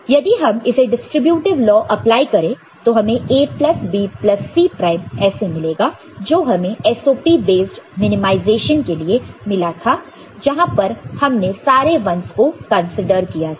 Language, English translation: Hindi, And, if you look at from distributive law if you apply you will get A plus B plus C prime which we got for the SOP based minimization where we considered all the 1s